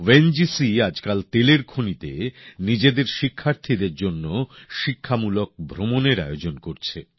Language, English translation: Bengali, These days, ONGC is organizing study tours to oil fields for our students